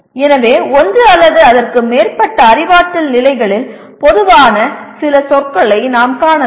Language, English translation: Tamil, So we may find some words which are common across one or more maybe two of the cognitive levels